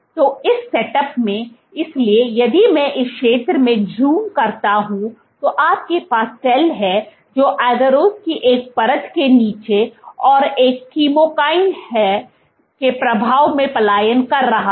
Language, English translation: Hindi, So, in this setup, so if I zoom in this zone then what you have is a cell which is migrating under a layer of agarose and under the influence of a chemokine